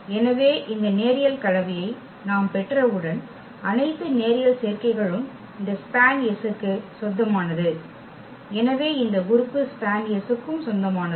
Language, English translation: Tamil, So, once we have this linear combination and all the linear combinations belongs to this span S so, this element will also belong to span S